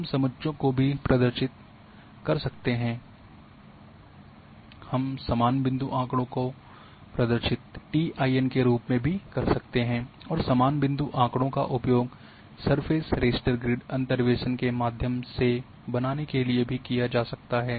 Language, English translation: Hindi, We can also represent in contours, we can also represent the same point data in form of TINs and the same point data can also used through interpolation to create surface raster grids